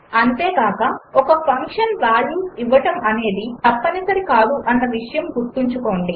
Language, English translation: Telugu, Also note that it is not mandatory for a function to return values